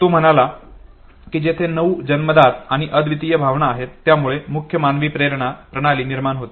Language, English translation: Marathi, Who said there are nine innate and unique emotions that produce the main human motivational system